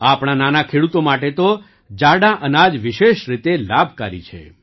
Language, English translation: Gujarati, For our small farmers, millets are especially beneficial